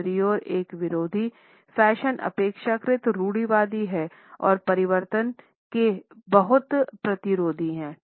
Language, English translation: Hindi, On the other hand, an anti fashion is relatively conservative and is very resistant to change